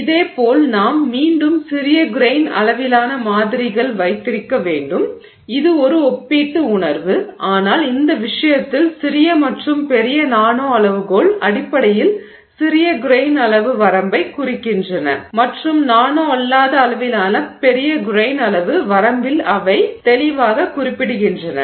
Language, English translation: Tamil, Similarly we also need to have a series of small grain sized samples again in a relative sense but in this case the small and the large essentially are referring to the nanoscale in the small grain size range and a distinctly non nano scale in the large grain size range